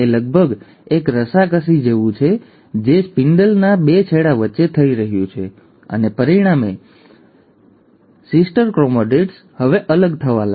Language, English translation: Gujarati, It is almost like a tug of war which is happening between the two ends of the spindle, and as a result, the sister chromatids now start getting separated